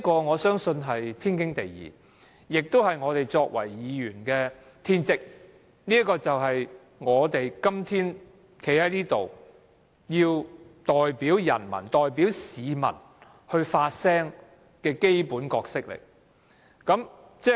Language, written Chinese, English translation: Cantonese, 我相信這是天經地義，是我們作為議員的天職，這亦是我們今天站在這裏代表人民和市民發聲的基本角色。, I believe this is perfectly justified and this is our bounden duty as Members to take such actions . It is also our basic role to speak on behalf of the people and the public